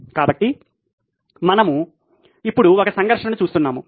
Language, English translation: Telugu, So now we are looking at a conflict